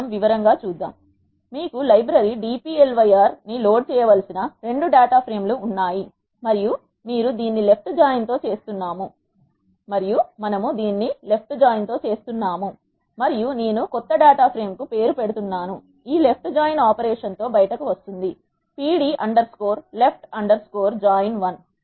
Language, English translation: Telugu, Let us see in detail, you have 2 data frames you need to load the library dplyr and you are doing it, a left join and I am naming the new data frame, which is coming out with this left join operation as, pd underscore left underscore join 1